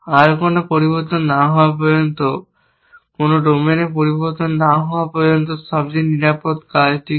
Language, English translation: Bengali, What is the safest thing to do until no more changes, until no domain changes